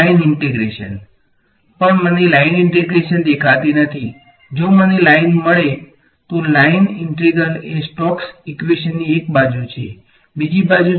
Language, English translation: Gujarati, The line integral, but I do not see a line integral if am going to get a line ok, line integral is there on one side of stokes equation what is the other side